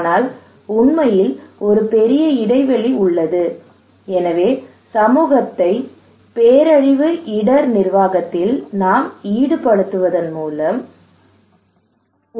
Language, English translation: Tamil, But in reality, there is a huge gap we are asking that okay we need to involve community into disaster risk management